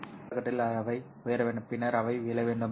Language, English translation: Tamil, In the half period they have to rise and then they have to fall